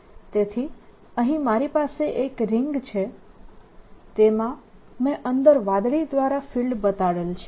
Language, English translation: Gujarati, so what i have is this ring in which there is a fields inside shown by blue